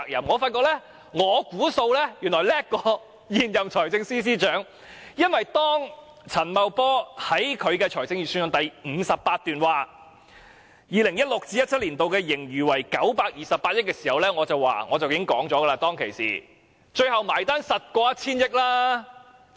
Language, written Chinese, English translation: Cantonese, 我發現我所作估算似乎更勝現任財政司司長，因為當陳茂波在預算案第58段指出 2016-2017 年度盈餘預計為928億元時，我已斷言最後的結算數字肯定超過 1,000 億元。, I find that my projection may be even more accurate than the incumbent Financial Secretarys estimation . When Paul CHAN stated in paragraph 58 of the Budget speech that he forecasted a surplus of 92.8 billion for 2016 - 2017 I already asserted that the final amount of fiscal surplus would definitely exceed 100 billion